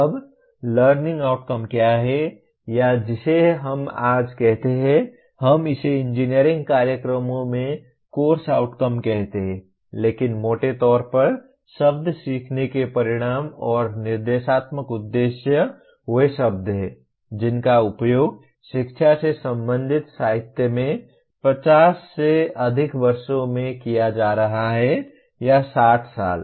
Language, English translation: Hindi, Now learning outcomes is not or what we call today we are calling it course outcomes at engineering programs but broadly the word learning outcomes and instructional objectives are the words that are being that have been used in the literature related to education for more than 50 years or 60 years